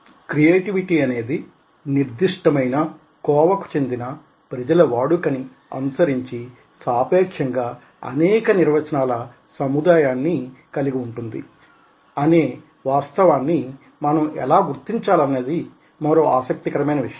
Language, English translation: Telugu, so this again is interesting: that how we need to aware of the fact that creativity is a concept with relative set of definitions, depending on which particular category of people are using it, still difficult to define